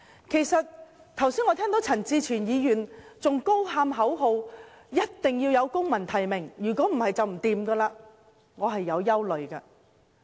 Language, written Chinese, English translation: Cantonese, 我剛才聽到陳志全議員仍在高喊口號：一定要有公民提名，否則便不行，我對此感到很憂慮。, As I just heard Mr CHAN Chi - chuen was still chanting slogans about civil nomination being a must and nothing else would do . Frankly I am extremely worried about this